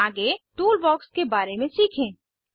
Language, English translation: Hindi, Next lets learn about Toolbox